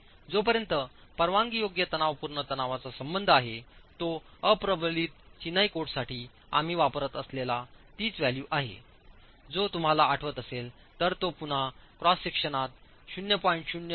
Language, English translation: Marathi, As far as permissible tensile stresses are concerned, it continues to be what we used for the unreinforced Masonry Code, which is again if you remember, varies between 0